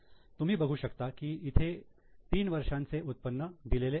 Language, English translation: Marathi, You can see this three years income is given